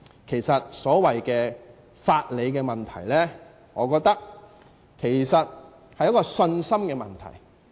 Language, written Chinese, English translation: Cantonese, 其實，所謂法理的問題，我覺得是信心的問題。, Actually I hold that the principles of laws are a matter of confidence